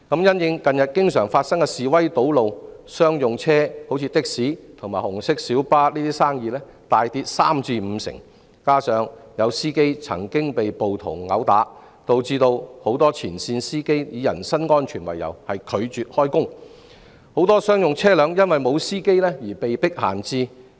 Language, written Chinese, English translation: Cantonese, 因應近日經常發生的示威堵路，商用車輛如的士和紅色小巴等的生意大跌三至五成，再加上有司機曾被暴徒毆打，導致很多前線司機以人身安全為由拒絕開工，很多商用車輛因司機不足而被迫閒置。, The frequent occurrence of demonstrations and road blockades recently has led to a 30 % to 50 % plunge in business for taxis red minibuses and other commercial vehicles . On top of that many frontline drivers refuse to work due to personal safety concern following incidents of drivers being beaten up by mobs leaving many commercial vehicles standing idle for want of drivers